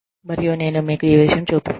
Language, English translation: Telugu, And, let me show you this